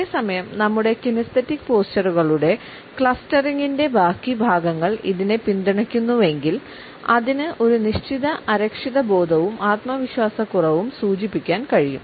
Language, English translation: Malayalam, However, at the same time if it is supported by the rest of the clustering of our kinesics postures it can also indicate a certain sense of insecurity and lack of self confidence